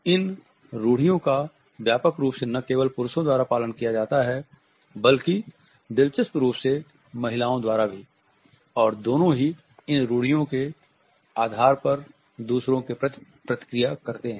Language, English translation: Hindi, These stereotypes are widely held not only by men, but also interestingly by women and both react towards others on the basis of these stereotypes